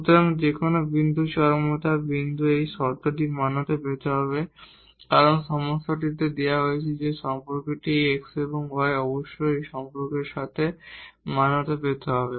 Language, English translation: Bengali, So, whatever point is the point of extrema this condition has to be satisfied because, that is given in the problem that the relation x and y must be satisfied with this relation